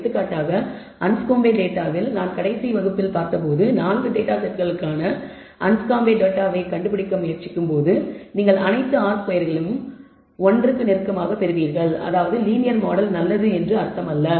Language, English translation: Tamil, And the Anscombe data for example, when we saw last class, if you try to find the Anscombe data for the 4 datasets you will get all r squared close to one and that does not mean that the linear model is good